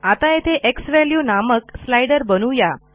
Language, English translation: Marathi, Now let us create a slider here named xValue